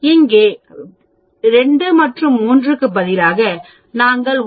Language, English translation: Tamil, Instead of 2 and 3 here, we are using 1